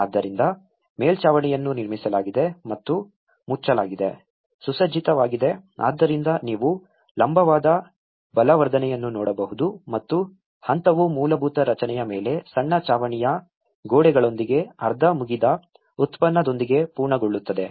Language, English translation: Kannada, So, the roof was built and covered, paved so this is a stage one as you can see the vertical reinforcement and the stage one is completed with a half finished product with a small roof walls on the basic structure